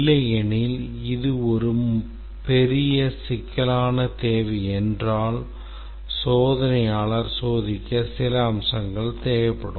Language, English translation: Tamil, Otherwise if it is a huge complex requirement, the tester may overlook some of the aspects to test